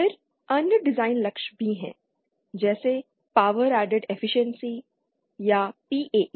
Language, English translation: Hindi, Then there are other design goals as well like Power Added Efficiency or PAE